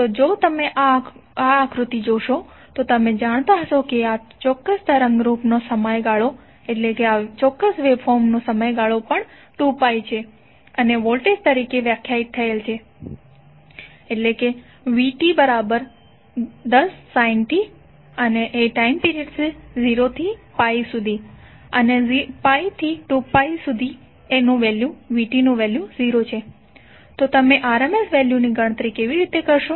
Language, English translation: Gujarati, So if you see this figure you will come to know that the time period of this particular waveform is also 2pi and the voltage is defined as 10 sin t for 0 to pi and it is 0 between pi to 2pi